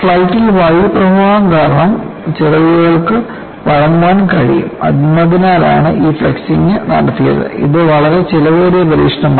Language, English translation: Malayalam, This flexing was not done because in flight, the wings alsocan flex because of the air currents, and it is a very quiet expensive experiment